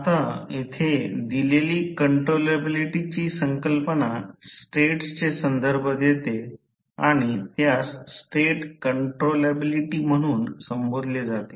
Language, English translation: Marathi, Now, the concept of an controllability given here refers to the states and is referred to as state controllability